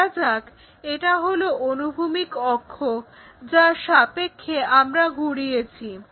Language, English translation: Bengali, Let us consider this is our horizontal axis with respect to that we have rotated